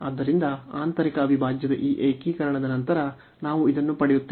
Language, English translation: Kannada, So, after this integration of the inner integral, we will get this